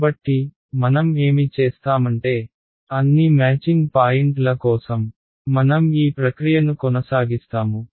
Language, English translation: Telugu, So, what we will do is we will continue this process for all the matching points